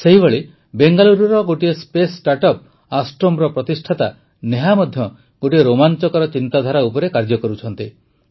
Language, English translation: Odia, Similarly, Neha, the founder of Astrome, a space startup based in Bangalore, is also working on an amazing idea